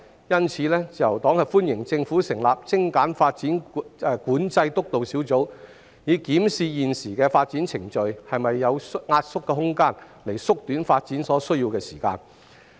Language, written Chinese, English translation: Cantonese, 因此，自由黨歡迎政府成立"精簡發展管制督導小組"，以檢視現時的發展程序是否有壓縮的空間，從而縮短發展所需的時間。, Therefore the Liberal Party welcomes the Governments announcement of establishing the Steering Group on Streamlining Development Control to examine whether there is room for streamlining the current development processes with a view to shortening the time required for development